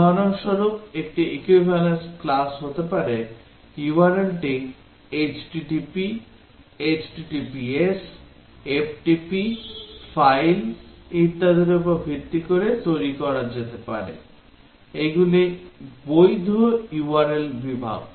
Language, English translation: Bengali, For example, one equivalence class can be, the URL can be based on “http”, “https’, “ftp”, “file”, etcetera all these are valid URL categories